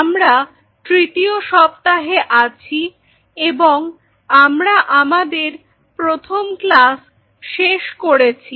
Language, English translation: Bengali, So, we are in week 3 and we have finished our first class